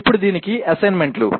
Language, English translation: Telugu, And now the assignments for this